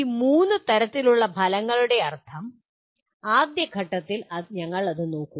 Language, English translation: Malayalam, The particular meaning of these three types of outcomes, we will look at it at a later stage